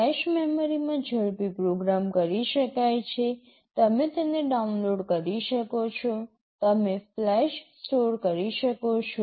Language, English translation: Gujarati, Flash memory can be programmed on the fly, you can download it, you can store in flash